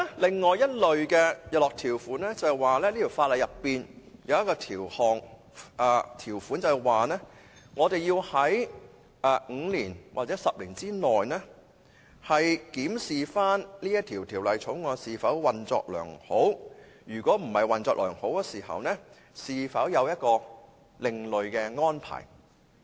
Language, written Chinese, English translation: Cantonese, 另一類的日落條款是在條例內有一項條款，規定我們要在5年或10年內檢視條例是否運作良好，如果不是運作良好，是否有另類安排。, As for another type of sunset clauses there is a clause stipulating that the Ordinance must be reviewed in five or 10 years to ascertain if it is working properly . An alternative arrangement will be made if it is not functioning well